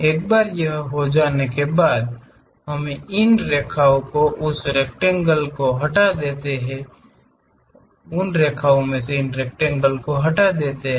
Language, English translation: Hindi, Once it is done, we finish this lines remove that rectangle